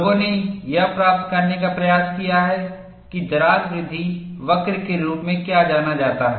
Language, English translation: Hindi, People have attempted to get what are known as crack growth curve